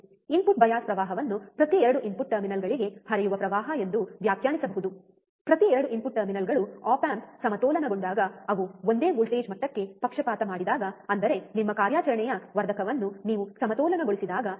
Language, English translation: Kannada, Input bias current can be defined as the current flowing into each of the 2 input terminals, each of the 2 input terminals, when they are biased to the same voltage level when the op amp is balanced; that means, that when you balance your operational amplifier, right